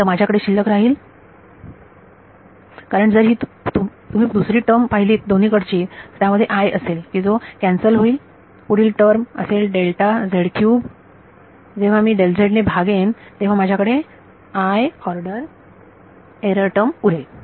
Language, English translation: Marathi, So, I am left with because if you see the second term on both of these is going to have a delta z squared which will get cancelled off the next term will be delta z cube when I divide by delta z I am left with the error term of order delta z square